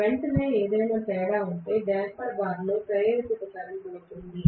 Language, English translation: Telugu, If there is any difference immediately there will be an induced current in the damper bar